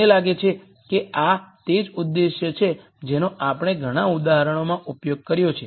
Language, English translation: Gujarati, I think this is the same objective that we have been using till now in the several examples